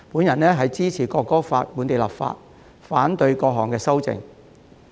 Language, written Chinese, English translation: Cantonese, 因此，我支持就《國歌法》進行本地立法，並且反對各項修正案。, Therefore I support the enactment of local legislation in respect of the National Anthem Law and oppose all the amendments